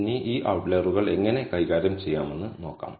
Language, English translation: Malayalam, Now, let us see how to handle these outliers